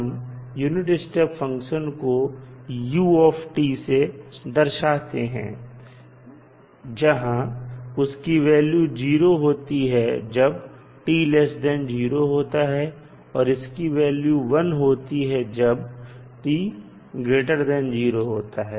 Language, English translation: Hindi, We represent ut that is unit step function equal to 0 for t less than 0 and 1 when t greater than 0